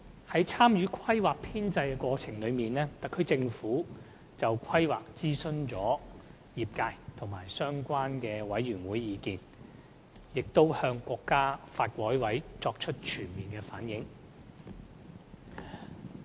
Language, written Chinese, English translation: Cantonese, 在參與《規劃》編製的過程中，特區政府就《規劃》徵詢了業界及相關委員會的意見，並已向國家發改委作出全面反映。, In the course of participating in formulating the Development Plan the SAR Government consulted different sectors and relevant committees and their views have been fully reflected to NDRC